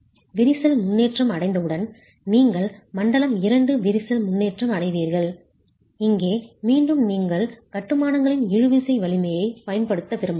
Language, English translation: Tamil, Once cracking progresses, you're into zone 2, cracking progresses and here again you might want to use a tensile strength of the masonry